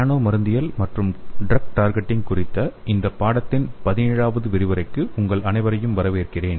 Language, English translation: Tamil, Hello everyone I welcome you all to this 17th lecture of this course on nano pharmacology and drug targeting